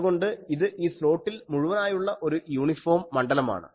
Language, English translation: Malayalam, So, it is an uniform field throughout this slot